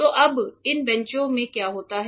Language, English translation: Hindi, So, now, what happens in these benches